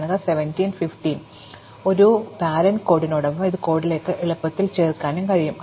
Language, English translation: Malayalam, So, this can also be easily added to our code along with the parent code